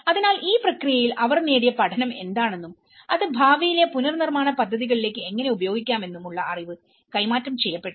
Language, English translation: Malayalam, So, there is no transfer of knowledge what the learning they have gained in this process and how it can be transferred to the future reconstruction projects